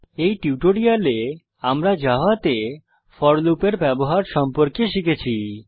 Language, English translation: Bengali, In this tutorial we have learnt how to use for loop in java